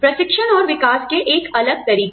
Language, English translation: Hindi, A different training and development methods